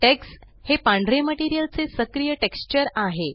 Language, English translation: Marathi, Tex is the White materials active texture